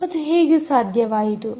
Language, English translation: Kannada, and how is that possible